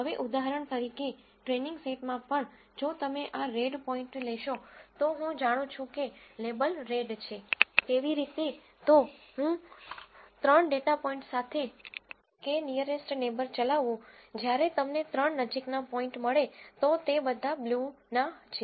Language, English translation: Gujarati, Now even in the training set for example, if you take this red point, I know the label is red; how ever, if I were to run k nearest neighbor with three data points, when you find the three closest point, they all belong to blue